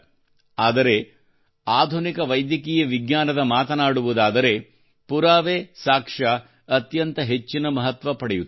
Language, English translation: Kannada, But when it comes to modern Medical Science, the most important thing is Evidence